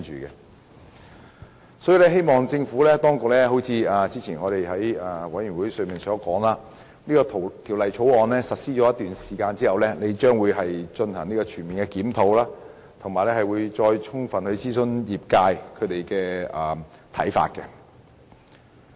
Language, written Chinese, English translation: Cantonese, 因此，我希望政府當局——正如之前在法案委員會中所言——在《條例草案》實施一段時間之後進行全面檢討，以及再充分諮詢業界。, For this reason I hope the Administration―as I have said in the Bills Committee before―will conduct a comprehensive review and thoroughly consult the industry again after the Bill has been implemented for a certain period